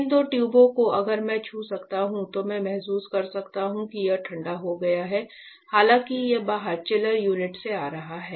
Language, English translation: Hindi, These two tubes if I can touch I can feel it is cooled though it is coming from the chiller unit outside